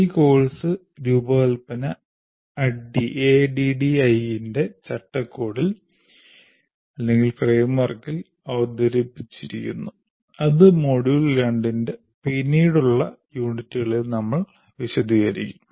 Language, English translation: Malayalam, And this course design is presented in the framework of ADD, which we will elaborate in later units of this module 2